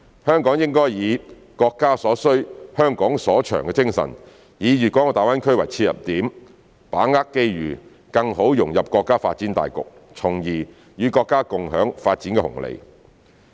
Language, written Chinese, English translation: Cantonese, 香港應以"國家所需、香港所長"的精神，以大灣區為切入點，把握機遇，更好融入國家發展大局，從而與國家共享發展紅利。, Hong Kong should adopt the spirit of what the country needs what Hong Kong is good at and take GBA as an entry point to seize the opportunities and better integrate into the overall development of the country so as to share the dividends of development with the country